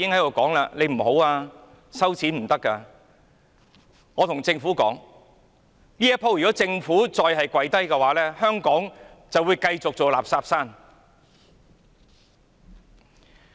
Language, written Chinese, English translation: Cantonese, 我要對政府說，如果政府這次再"跪低"，香港便會繼續做"垃圾山"。, I have to tell the Government that if it bows to their pressure again this time Hong Kong will continue to be a waste mound